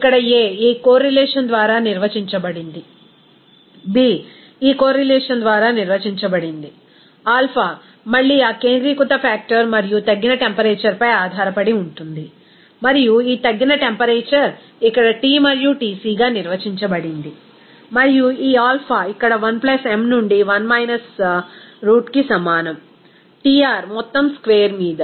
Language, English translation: Telugu, Here a is defined by this correlation, b is defined by this correlation, alpha is again depending on that acentric factor and reduced temperature and this reduced temperature defined as here T and Tc and this alpha is equal to here 1 + m into 1 minus root over Tr whole square